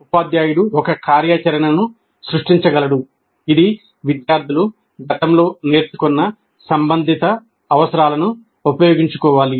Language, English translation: Telugu, Teacher could create an activity that requires students to utilize the relevant prerequisite competencies that have been previously learned